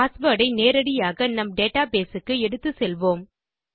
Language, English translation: Tamil, We would be taking a password straight for our database